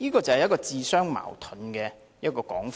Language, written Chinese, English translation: Cantonese, 這便是自相矛盾的說法。, What he said was just self - contradictory